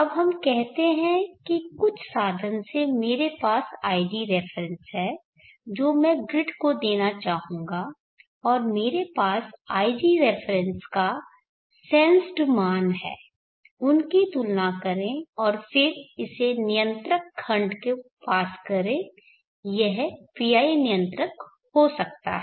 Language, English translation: Hindi, Now let us start with a comparator let me compare an ig reference, now let us say that I have by sum means ig reference what I would like to give to the grid and I have the sums to value of ig reference I can sense that compare them and then pass it to controller block it could be a PI controller